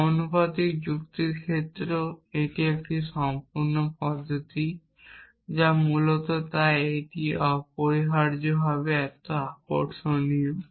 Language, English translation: Bengali, In proportional logic case also it is a complete method essentially which is why it is so attractive essentially